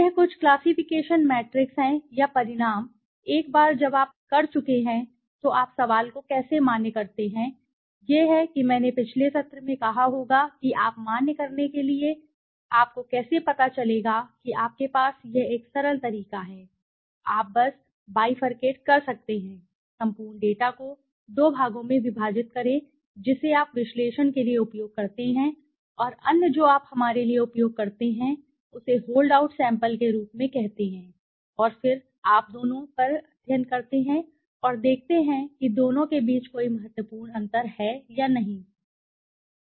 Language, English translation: Hindi, This is something the classification matrix or the results now once you have done how do you validate the question comes is I also must have said in the last session how do you validate to validate you know the results you have this one simple way that you can just bifurcate divide the entire data set into two parts one you use for analysis and other you use for let us say for as a hold out sample right and then you do the study on both and see whether there is any significant difference between the two or not right that is one thing